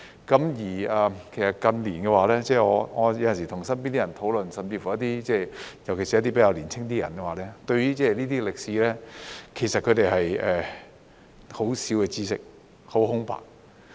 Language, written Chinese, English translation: Cantonese, 近年我有時與身邊的人討論，尤其是一些較年輕的人，對於這些歷史，他們有很少的知識、很空白。, In recent years I sometimes have had discussions with people around me especially the younger ones and they know very little of this part of history and I would say that they are almost oblivious to it